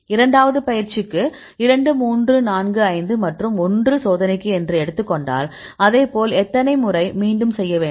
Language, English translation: Tamil, The second case, we take 2, 3, 4, 5 for training and one as test; likewise how many times you need to repeat